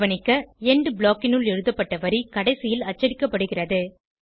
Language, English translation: Tamil, Notice that: The line written inside the END block is printed last